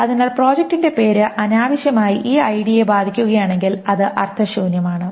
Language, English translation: Malayalam, So if project name affects this ID unnecessarily, it doesn't make sense